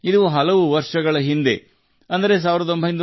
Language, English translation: Kannada, This took place years ago in 1975